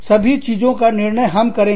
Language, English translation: Hindi, We will decide everything